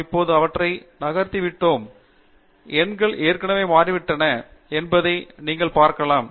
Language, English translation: Tamil, I have just now moved them around and you can see that the numbers have already changed